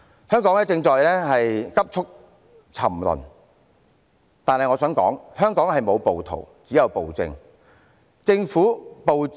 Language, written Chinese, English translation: Cantonese, 香港正在急速沉淪，但我想指出，香港沒有暴徒，只有暴政。, Hong Kong is sinking rapidly . But I wish to point out that in Hong Kong there are no rioters only tyranny